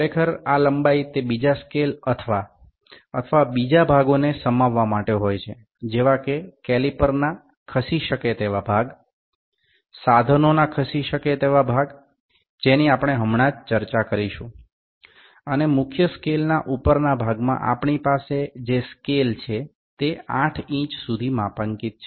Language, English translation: Gujarati, Actually this length is to accommodate the other scale or the other part that is, the moveable part of the caliper, moveable part of the instrument that we will just discuss and on the upper side of the scale of the main scale we have in scale which is calibrated up to 8 inches